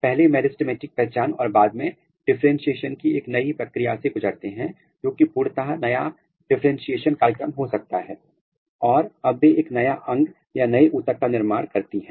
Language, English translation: Hindi, First the meristematic identity and then later they undergo a new round of differentiation program or totally new differentiation program and now they are making a new organ or a new tissue